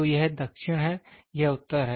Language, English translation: Hindi, So, this is south this is north